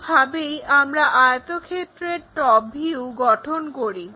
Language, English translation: Bengali, This is the way we construct top view of that rectangle